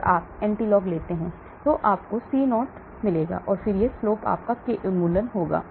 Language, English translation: Hindi, And you take anti log that will be your C0, and then this slope will be your K elimination